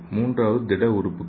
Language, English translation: Tamil, And the third one is solid organs